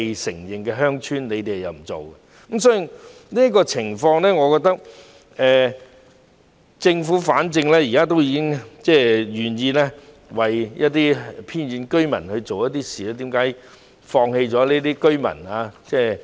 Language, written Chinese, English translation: Cantonese, 政府沒有處理這些不被承認的鄉村，我覺得反正政府現時已經願意為一些偏遠居民做一些事，為何要放棄這些居民？, The Government does not deal with these places which are not recognized as villages . In my view since the Government is now willing to do something for the residents in remote areas why does it neglect those residents?